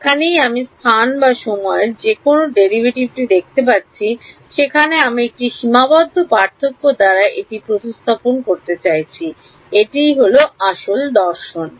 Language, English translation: Bengali, E H wherever I see a derivative in space or time I am going to be replace it by a finite difference that is a philosophy